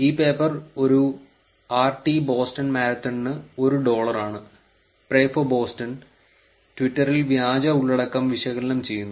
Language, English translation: Malayalam, This paper is dollar one per RT Boston Marathon, Pray for Boston analyzing fake content on twitter